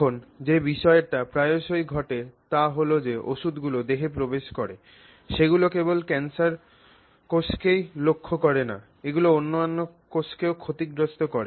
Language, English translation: Bengali, Now, the issue that often happens in this case is that the drugs that go into the body actually don't target only the cancer cells, they end up also damaging lot of other cells